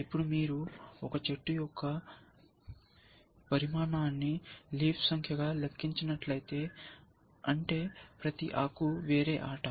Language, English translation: Telugu, Now, if you count the size of a tree, as the number of leaves, which means, each leaf is a different game that you can play